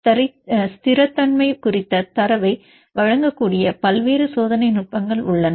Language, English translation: Tamil, So, there are various experimental techniques which can provide the data on the stability